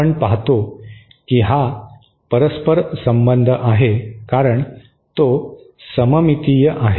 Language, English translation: Marathi, We see that it is a reciprocal devise because it is symmetric